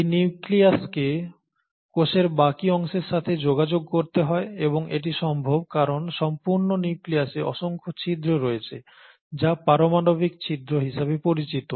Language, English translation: Bengali, This nucleus has to communicate with the rest of the cell and it does so because the entire nucleus has numerous openings which is what you call as the nuclear pores